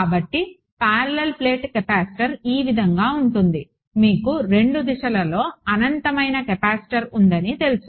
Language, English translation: Telugu, So, this parallel plate capacitor which looks something like this that you know you have a capacitor infinite capacitor in both directions